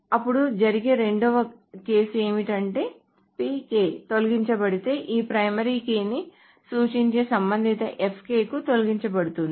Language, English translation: Telugu, In the second case, what happens is that if PK is deleted, the corresponding FK that refers to this primary keys also deleted